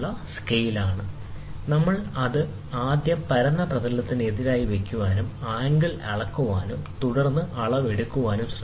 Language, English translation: Malayalam, So, first we try to put it as against the flat surface, measure the angle and then try to take the reading